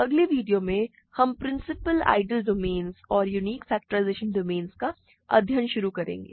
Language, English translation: Hindi, In the next video, we will start studying principal ideal domains and unique factorization domains